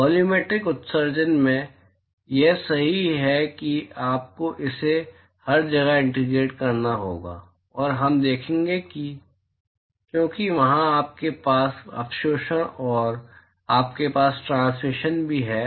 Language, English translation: Hindi, In volumetric emission, that is correct you will have to integrate it everywhere and we will see because there you have absorption and you also have transmission